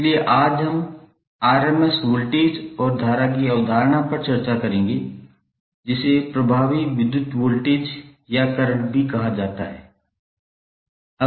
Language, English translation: Hindi, So today we will discuss the concept of root mean square voltage and current which is also called as effective voltage or current